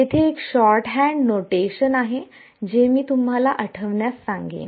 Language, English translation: Marathi, There is one short hand notation which I will ask you to recall